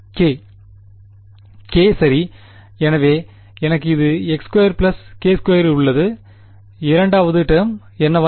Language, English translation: Tamil, k right, so I have a x squared by k squared second term becomes